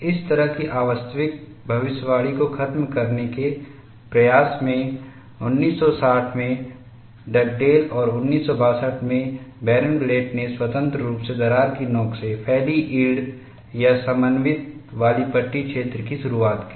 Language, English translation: Hindi, In an effort to eliminate such an unrealistic prediction, Dugdale in 1960 and Barenblatt 1962 independently introduced yielded or cohesive strip zones extending from the crack tip